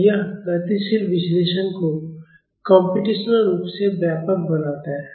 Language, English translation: Hindi, So, this makes dynamic analysis computationally extensive